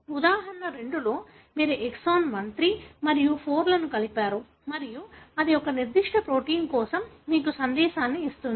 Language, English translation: Telugu, In example 2, you have exon 1, 3 and 4 joined together and then, that gives you a message for a particular protein